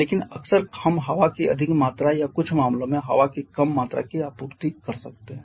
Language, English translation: Hindi, But quite often we may supply higher amount of air or in certain cases less amount of air